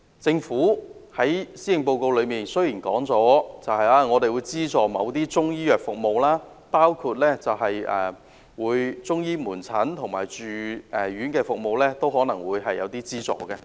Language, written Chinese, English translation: Cantonese, 政府在施政報告中表示，將會資助某些中醫藥服務，包括向中醫門診及住院服務提供資助。, In the Policy Address it is said that the Government would subsidize certain Chinese medicine services including subsidizing Chinese medicine outpatient services and inpatient services